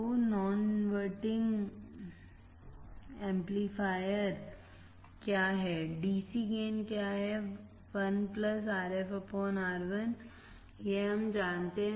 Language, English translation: Hindi, So, non inverting amplifier non inverting amplifier, what is the dc gain 1 plus feedback Rf and Ri1 plus Rf by Ri this we know